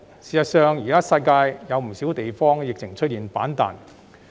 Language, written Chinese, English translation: Cantonese, 事實上，現時世界上不少地方的疫情均出現反彈。, This is worrisome . In fact the pandemic has rebounded in many places around the world